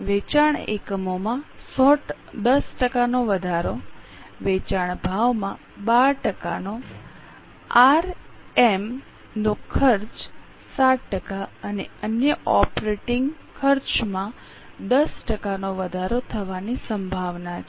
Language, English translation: Gujarati, Sales units likely to increase by 10% sale price 12%, RM cost 7% and other operating costs by 10%